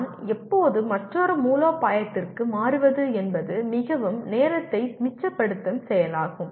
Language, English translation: Tamil, When do I switch over to another strategy is a very very time saving activity